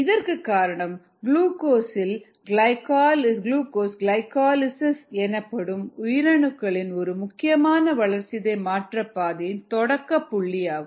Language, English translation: Tamil, we saw that glucose is a typical substrate because it participates in one of the important metabolic pathway in the cell, or glycolysis, and ah